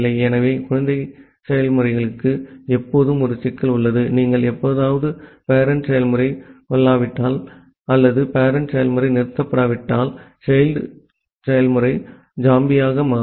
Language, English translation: Tamil, So, child processes has always a problem that if you are if sometime the parent process get killed or the parent process stops, then the child process become zombie